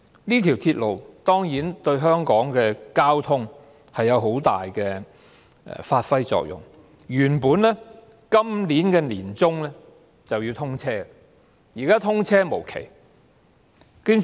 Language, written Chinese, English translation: Cantonese, 這條鐵路當然對香港的交通發揮很大的作用，原定於今年年中通車，但現在卻通車無期。, While SCL will certainly play a big role in transport in Hong Kong its commencement originally scheduled for the middle of this year is now deferred indefinitely